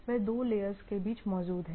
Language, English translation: Hindi, They exist between two layers